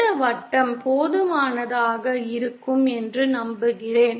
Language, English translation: Tamil, I hope this circle is pretty enough